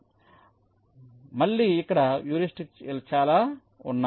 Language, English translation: Telugu, so again there are lot of heuristics that are used here